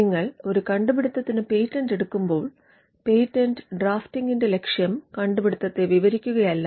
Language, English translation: Malayalam, But the question is from a patenting perspective, when you patent an invention, the object of patent drafting is not to simply describe the invention